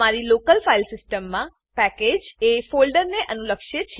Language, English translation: Gujarati, On your local file system, a package corresponds with a folder